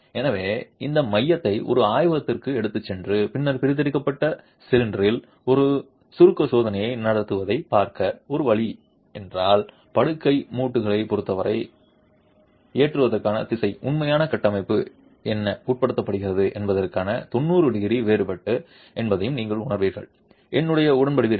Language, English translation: Tamil, So, if one way to look at extracting this code, taking it to a laboratory and then conducting a compression test on the cylinder extracted, then you would realize that the direction of loading with respect to the bed joints is 90 degrees different to what the actual structure is subjected to